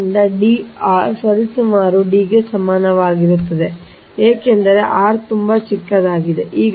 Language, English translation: Kannada, so d minus r is equal to approximately equal to d, because r is too small right